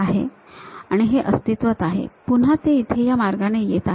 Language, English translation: Marathi, So, material is present, then again it comes all the way here